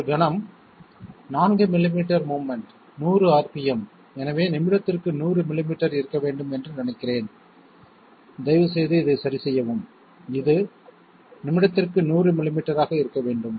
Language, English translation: Tamil, Just one moment, 4 millimetres of movement, 100 rpm, so I think there should be it should be 100 millimetres per minute okay, please correct this, it should be 100 millimetres per minute